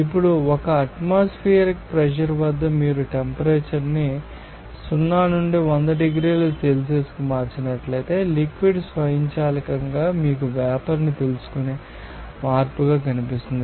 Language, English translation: Telugu, Now, at 1 atmospheric pressure if you change the temperature from 0 to 100 degrees Celsius, you will see that liquid automatically will be a change to you know vapour